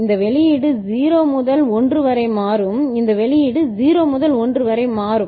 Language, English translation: Tamil, This output will change from 0 to 1; this output will change from 0 to 1